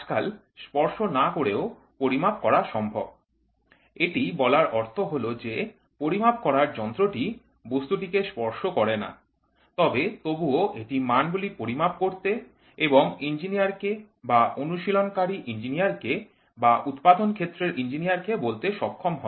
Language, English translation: Bengali, Today, it has gone in to non contact type; that means, to say the tool does not touch the workpiece, but still it is able to measure and tell the values to the engineer or to the practicing engineer or for the manufacturing engineering